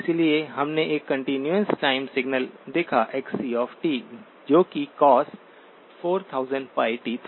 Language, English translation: Hindi, So we looked at a continuous time signal, Xc of t which was cosine 4000pi t